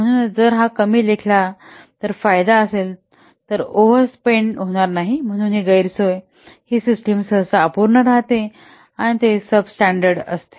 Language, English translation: Marathi, So if you underestimate, the advantage is that there will be no overspend, but the disadvantage that the system will be usually unfinished and it will be substandard